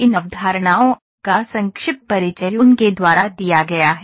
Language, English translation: Hindi, The brief introduction to these concepts have been given by him